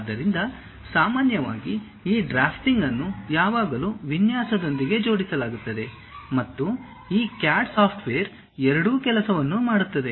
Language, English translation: Kannada, So, usually this drafting always be club with designing and most of these CAD softwares does both the thing